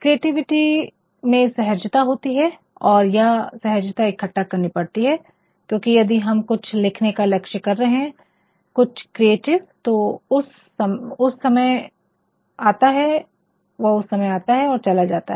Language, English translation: Hindi, Creativity has got a spontaneity and this is spontaneity has to be gathered, because if you are aiming at writing something creatively times come times go